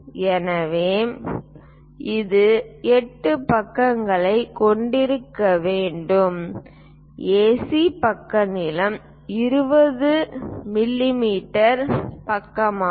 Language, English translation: Tamil, So, it is supposed to have 8 sides AC side length is a 20 mm side we would like to construct